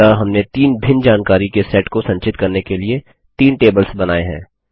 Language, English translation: Hindi, So we created three tables to store three different sets of information